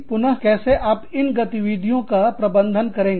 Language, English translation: Hindi, Again, how do you manage, these operations